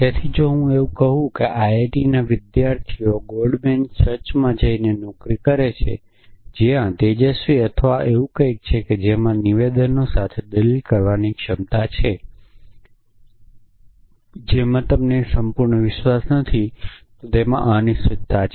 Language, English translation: Gujarati, So, if I say students in IIT go and take a jobs in gold man sacs where in bright or something like that the ability to make to ability to reason with statements in which you do not have complete belief of which there is uncertainty